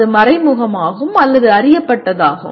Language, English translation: Tamil, That is either implicit or known